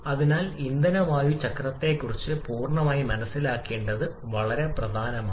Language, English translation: Malayalam, And therefore, it is very important to have a complete understanding of the fuel air cycle